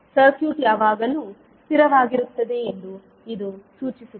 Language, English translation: Kannada, This implies that the circuit is always stable